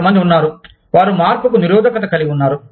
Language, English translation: Telugu, There are some people, who are resistant to change